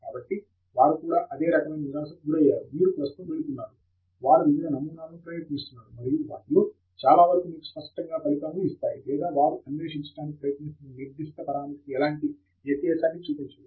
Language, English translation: Telugu, So, they would have also gone through the same kind of frustration that you are currently going through, they are trying out various different samples, and many of them are, you know, completely giving them tangential results or not at all showing any kind of relevance to that particular parameter that they are trying to explore